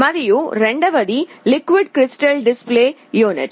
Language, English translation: Telugu, And, the second is the liquid crystal display display unit